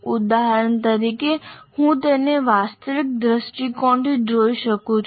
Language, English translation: Gujarati, For example, I can look at it from factual perspective